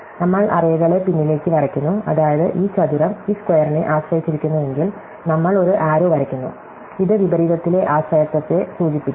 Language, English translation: Malayalam, So, therefore with our convention that we draw the arrows backwards that is, if this square depends on this square, then we draw an arrow, indicating the dependency in reverse